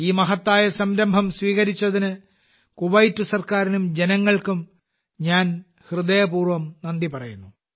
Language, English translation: Malayalam, I thank the government of Kuwait and the people there from the core of my heart for taking this wonderful initiative